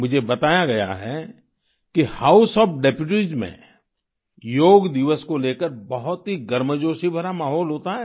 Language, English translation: Hindi, I have been told that the House of Deputies is full of ardent enthusiasm for the Yoga Day